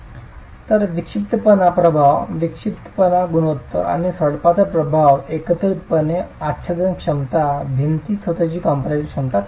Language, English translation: Marathi, So the eccentricity effect, eccentricity ratio, and and the slenderness effect together comes to reduce the force displacement, the compression capacity, compression strength of the wall itself